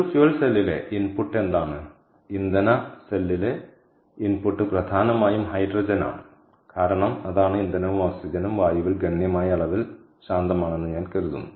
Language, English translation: Malayalam, input in a fuel cell is hydrogen, mainly because thats the fuel and oxygen which is available, i thinks quiet, in significant amounts in air